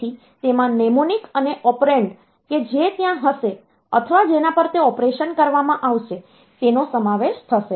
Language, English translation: Gujarati, So, they will consist of the mnemonic, and the operand that will be there or on which that operation will be done